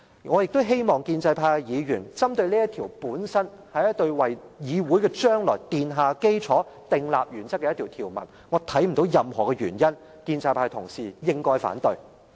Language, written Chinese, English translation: Cantonese, 我亦希望建制派議員針對這條文本身，這條文是一項為議會將來奠下基礎、訂立原則的條文，我看不到任何原因，建制派同事應該反對。, I also hope that Members from the pro - establishment camp will focus on the rule per se for it seeks to lay a good foundation and set out principles for the future of the legislature . I do not see any reason for colleagues from the pro - establishment camp to oppose it